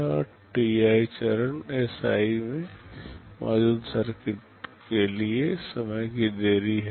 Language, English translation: Hindi, And ti is the time delay for the circuit that is there in stage Si